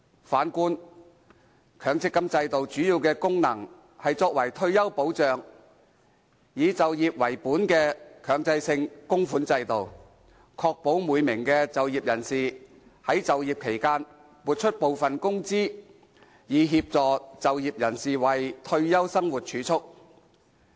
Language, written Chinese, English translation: Cantonese, 反觀強積金制度，主要的功能是作為退休保障，以就業為本的強制性供款制度，確保每名就業人士在就業期間撥出部分工資，以協助就業人士為退休生活儲蓄。, Contrarily the MPF System mainly serves to provide retirement protection . This employment - based mandatory contribution scheme ensures that each employee sets aside some income during hisher working life as savings for their retirement